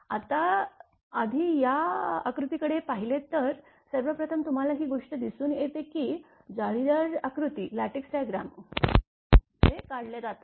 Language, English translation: Marathi, Now, first if you look into this diagram first you see how things are lattice diagram is drawn